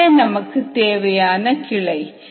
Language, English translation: Tamil, this is the desired branch